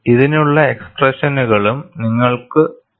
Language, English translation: Malayalam, And you also have expressions for this